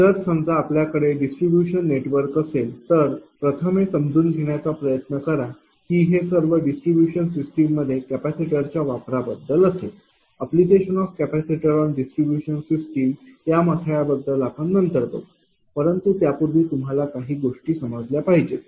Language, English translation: Marathi, So, suppose you have a distribution network look you just try to understand first that it will be application of capacitor to distribution system, this will be the headline that application of capacitor to distribution system I will come to that all this thing later, but before that certain things you have to understand